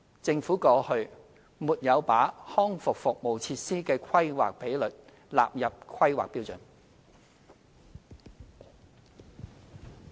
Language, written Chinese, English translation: Cantonese, 政府過去沒有把康復服務設施的規劃比率納入《規劃標準》。, The Government has not included any planning ratio for rehabilitation services in HKPSG in the past